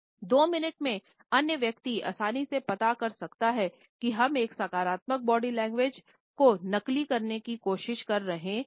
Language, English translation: Hindi, Beyond a space of 2 minutes the other person can easily find out if we are trying to fake a positive body language